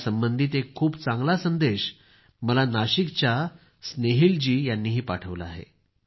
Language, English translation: Marathi, Snehil ji from Nasik too has sent me a very good message connected with this